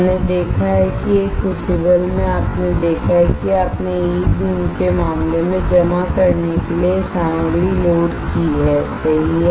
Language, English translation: Hindi, We have seen that in a crucible you have seen that you have loaded the material this is your material to get deposited right in case of E beam